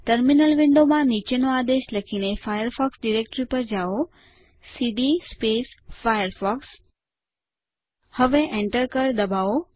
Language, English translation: Gujarati, In the Terminal Window go to the Firefox directory by typing the following command cd firefox Now press the Enter key